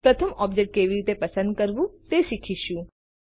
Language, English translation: Gujarati, We will first learn how to select an object